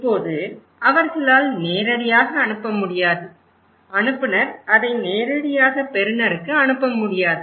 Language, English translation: Tamil, Now, they cannot directly send, sender cannot directly send it to receiver most of the time